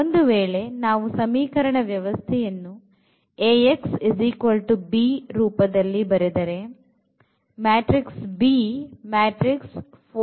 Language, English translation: Kannada, So, if we write down the system of equations into Ax is equal to b form